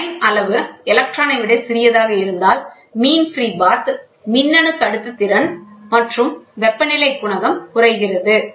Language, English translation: Tamil, If the grain size smaller than an electron, mean free path the electronic conductivity as well as the temperature coefficient decreases